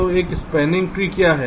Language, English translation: Hindi, and when you talk about a spanning tree, so what is a spanning tree